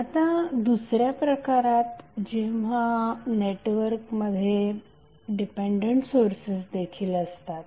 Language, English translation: Marathi, Now in case 2 when the network has dependent sources also